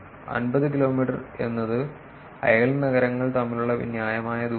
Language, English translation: Malayalam, 50 kilometers is reasonable distance between neighboring cities